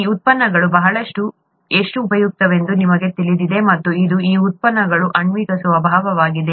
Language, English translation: Kannada, You know how useful these products are, and this is the molecular nature of these products